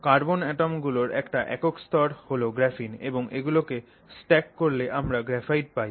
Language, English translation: Bengali, A single layer of carbon atoms, you know, bonded in this manner is graphene and then you stack them up, that is what is graphite